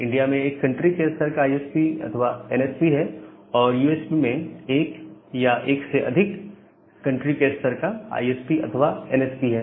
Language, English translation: Hindi, So, India has one country level ISP or the NSP, USA have one or more country level ISP or NSP